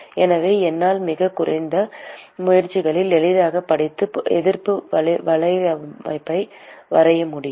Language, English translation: Tamil, So, I can easily read out and draw the resistance network with really minimal effort